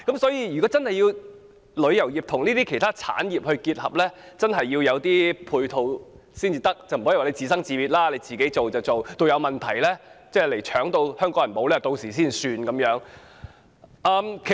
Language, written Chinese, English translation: Cantonese, 所以，如果旅遊業要與其他產業結合，政府真的需要提供配套，不可以任其自由發展，到有關藥品被搶購以至影響到香港人，才解決問題。, As such if the travel industry wants to integrate with other industries the Government really needs to offer support rather than adopt a laissez - faire attitude or resolve the problems only when pharmaceutical products are snapped up and Hong Kong people are affected